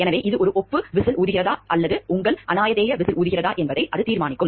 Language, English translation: Tamil, So, that will determine whether it is an acknowledge whistle blowing or it is your anonymous whistle blowing